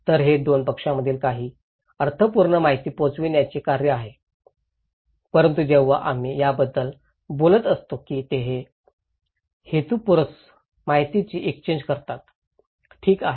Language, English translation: Marathi, So, it’s an act of conveying some meaningful informations between two parties but when we are talking about that they are purposeful exchange of informations, okay